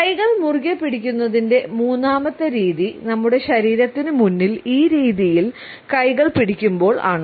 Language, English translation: Malayalam, The third position of clenched hands can be when we are holding hands in this manner in front of our body